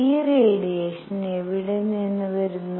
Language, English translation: Malayalam, Where does this radiation come from